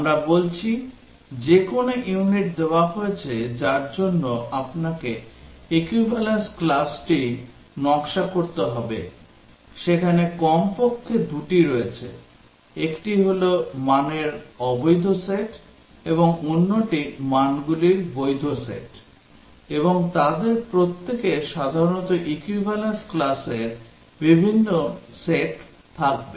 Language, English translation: Bengali, We are saying that given any unit for which you have to design equivalence class, there are at least two one are the invalid set of values and the other are the valid set of values, and each of them will have typically different sets of equivalence classes